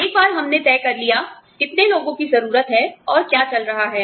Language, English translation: Hindi, Once we have decided, how many people, we need